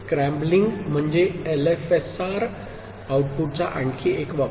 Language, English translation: Marathi, Scrambling is another use of LFSR output